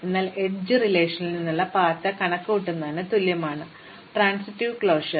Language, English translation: Malayalam, So, transitive closure is exactly the same as computing the path from edge relation